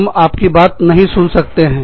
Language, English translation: Hindi, We cannot listen to you